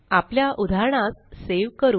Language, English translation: Marathi, Let us save our examples